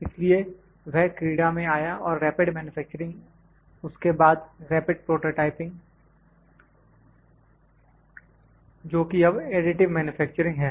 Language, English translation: Hindi, So that came into play and rapid manufacturing then rapid prototyping which is now additive manufacturing